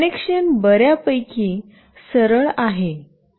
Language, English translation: Marathi, The connection is fairly straightforward